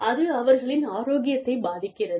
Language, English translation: Tamil, And, that in turn, affects their health